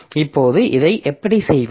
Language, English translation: Tamil, So, this is the current process